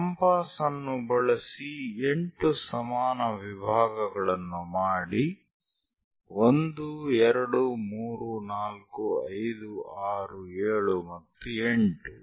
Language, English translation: Kannada, Use compass make 8 equal divisions; 1, 2, 3, 4, 5, 6th one, 7th and 8